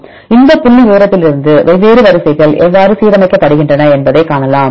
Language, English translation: Tamil, So, from this figure you can see how different sequences are aligned